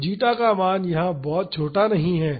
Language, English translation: Hindi, So, the zeta is not a very small value here